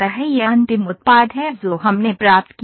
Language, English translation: Hindi, This is the final product that we have obtained